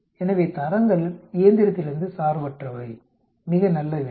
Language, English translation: Tamil, So the grades are independent of the machine, very nice problem